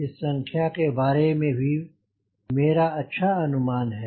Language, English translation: Hindi, i also have got a fairly idea about this number right